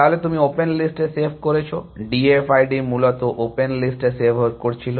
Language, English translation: Bengali, Then you are saving on the open list largely, that is what D F I D was doing saving on the open list essentially